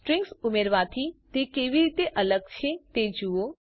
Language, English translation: Gujarati, Find out how is it different from adding strings